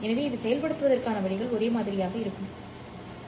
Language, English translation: Tamil, So the way to implement this one would be the same as we have discussed